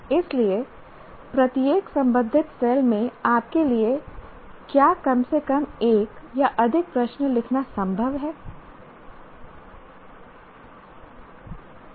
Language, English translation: Hindi, So, in each one of the relevant cells, is it possible for you to write at least one or more questions for that